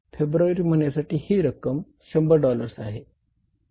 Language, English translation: Marathi, For the month of February it is $100